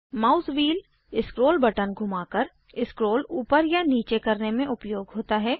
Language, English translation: Hindi, The mouse wheel is used to scroll up and down, by rolling the scroll button